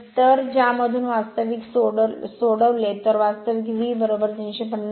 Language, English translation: Marathi, So, from which if you solve, you will get V is equal to 350